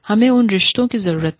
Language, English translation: Hindi, We need to have, those relationships